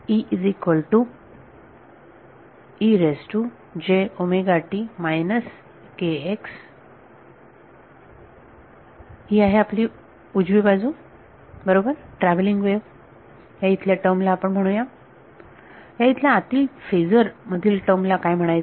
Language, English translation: Marathi, So, this is a right hand, right travelling wave let us call this term over here what do what would be call this term over here inside the phasor